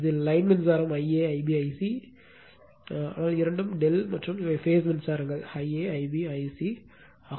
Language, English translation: Tamil, So, and this is the line current I a, I b, I c, this is the line current but both are delta and these are the phase current I b I b Ic